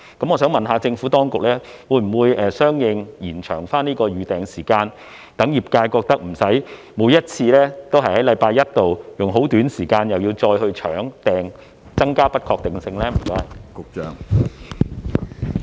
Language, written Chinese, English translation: Cantonese, 我想問，政府當局會否相應延長預訂時間，讓業界無須每次都要在星期一去"搶"訂，因而增加不確定性呢？, May I ask whether the Administration will extend the reservation period accordingly so that the industry will not have to rush to make a reservation every Monday thereby increasing the uncertainty?